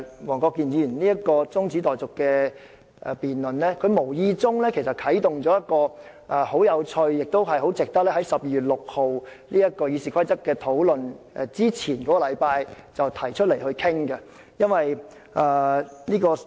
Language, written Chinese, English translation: Cantonese, 黃國健議員這次動議中止待續議案，無意中帶出一個十分有趣的問題，很值得在12月6日討論修訂《議事規則》之前，提早一星期討論。, By moving an adjournment motion Mr WONG Kwok - kin has unintentionally brought out an interesting topic which I think should be discussed one week before discussing amendments to RoP on 6 December